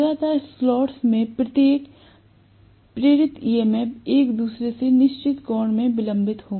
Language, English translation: Hindi, Each of the induce EMF in the consecutive slots will be delayed from each other by certain angle